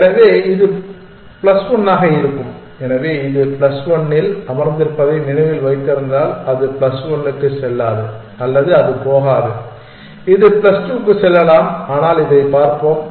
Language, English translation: Tamil, So, it will be plus 1, so if remember it was sitting on plus 1, so it would not go to plus 1 or it won’t go it can go to plus 2, but let us look at this one